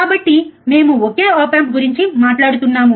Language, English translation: Telugu, So, we are talking about just a single op amp